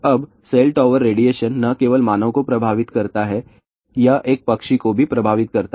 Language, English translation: Hindi, Now, cell tower radiation not only affects human being, it also affects a bird